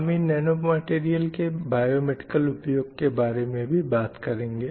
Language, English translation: Hindi, And we got a idea about how we can use these nanometals for various biomedical applications